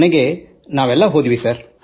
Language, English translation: Kannada, Ultimately all of us went there